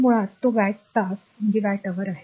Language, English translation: Marathi, So, basically it is watt hour